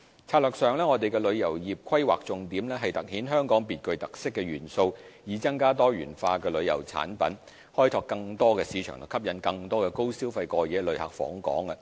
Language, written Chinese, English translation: Cantonese, 策略上，我們旅遊業的規劃重點是凸顯香港別具特色的元素，以增加多元化的旅遊產品，開拓更多市場和吸引更多高消費的過夜旅客訪港。, In terms of strategies the planning of our tourism industry focuses on highlighting Hong Kongs special features increasing the number of diversified tourism products developing new markets and attracting more high - spending overnight visitors to Hong Kong